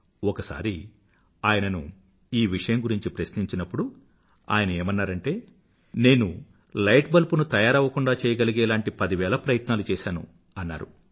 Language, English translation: Telugu, Once, on being asked about it, he quipped, "I have devised ten thousand ways of how NOT to make a light bulb"